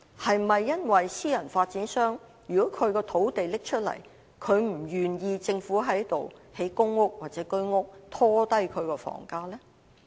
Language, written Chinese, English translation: Cantonese, 是否私人發展商把土地拿出來時，他們不願意政府在該處興建公屋或居屋，以免拖低樓價？, Is it that when private property developers hand over their land they do not wish to see the Government develop PRH units or HOS units there lest property prices would be dragged down?